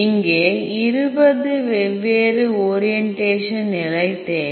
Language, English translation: Tamil, So, here I need twenty different orientation